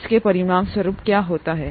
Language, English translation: Hindi, What happens as a result of that